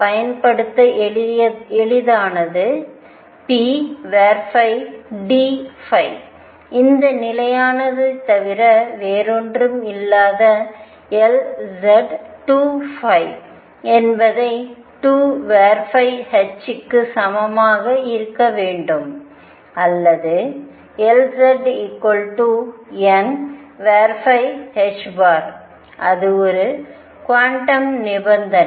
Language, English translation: Tamil, The easiest to apply the p phi d phi which is nothing but this constant L z times 2 pi should be equal to n phi times h or L z is equal to n phi h cross that is one quantum condition